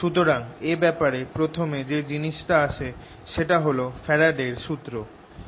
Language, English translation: Bengali, so first thing that comes in this is faradays law